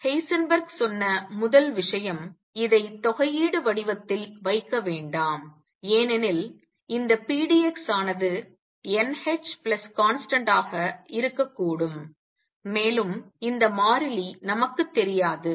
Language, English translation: Tamil, The first thing Heisenberg said; do not keep this in integral form why because this pdx could be n h plus some constant and we do not know this constant